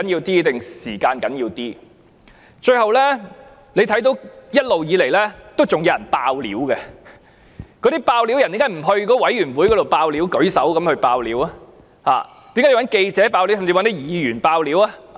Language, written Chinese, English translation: Cantonese, 最後，大家看到一直以來仍有人出來"爆料"，他們為何不向政府的獨立調查委員會"爆料"，而是要向記者和議員"爆料"？, Lastly we have seen people still coming forth to blow the whistle . Why did these whistle - blowers disclose information not to the Commission but only to reporters and Members?